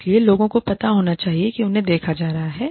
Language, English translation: Hindi, So, people should know, that they are being watched